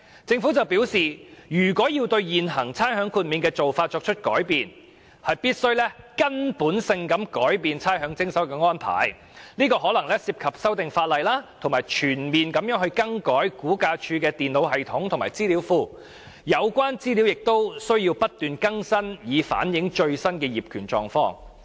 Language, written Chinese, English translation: Cantonese, 政府表示要改變現行差餉豁免的做法，必須徹底改變徵收差餉的安排，當中可能涉及修訂法例，全面更改差餉物業估價署的電腦系統和資料庫，有關資料亦須不斷更新，以反映最新的業權狀況。, The Government said that any changes to the current rates exemption approach would imply the need for making a fundamental change to the rates collection system . This might require legislative amendments and complete replacement of the computer systems and databases of the Rating and Valuation Department RVD . All relevant information would need to be constantly updated to reflect the latest title status